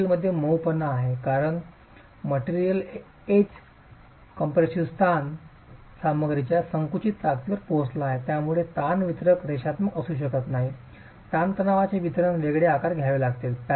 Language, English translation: Marathi, There is softening of the material as the material edge compressive stress reaches the compressive strength of the material because of which the stress distribution cannot be linear